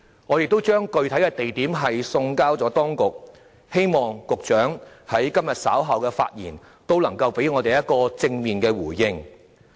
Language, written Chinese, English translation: Cantonese, 我們已把具體地點的建議送交當局，希望局長在今天稍後發言時也能給我們一個正面回應。, We have sent our specific proposals to the authorities . Hopefully the Secretary can give us a positive response in his speech later today